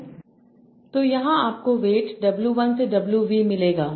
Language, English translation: Hindi, So here you will get the weights w1 to w